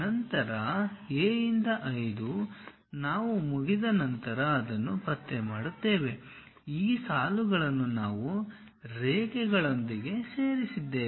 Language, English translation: Kannada, Then A 5 we will locate it once we are done we have these points joined by lines